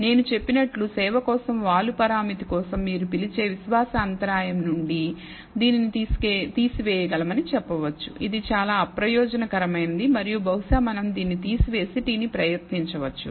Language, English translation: Telugu, As I said that from the, what you call, the confidence interval for the slope parameter for service, we can say that we can remove this it is insignificant and perhaps we can remove this and try the t